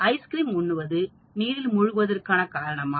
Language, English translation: Tamil, Does ice cream cause drowning